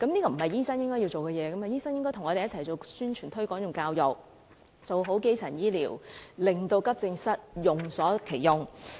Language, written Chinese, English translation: Cantonese, 醫生應該與我們一起進行宣傳、推廣及教育工作，做好基層醫療，令急症室用得其所。, Doctors should do publicity promotional and educational work with us and provide proper primary healthcare so that the AE departments can be optimized